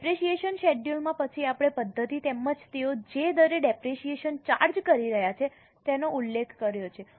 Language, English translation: Gujarati, In the depreciation schedule they will have mentioned the method as well as the rate at which they are charging depreciation